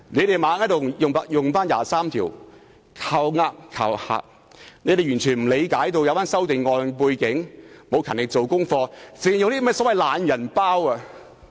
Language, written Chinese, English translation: Cantonese, 他們不斷用《基本法》第二十三條"靠呃"、"靠嚇"，完全不理解有關修訂建議的背景，也沒有勤力做功課，只靠那些所謂"懶人包"。, They kept citing Article 23 of the Basic Law to deceive and to threaten disregarding the rationale of the amendment proposals . Worse still they have not done any preparation but merely relied on the so - called lazy packs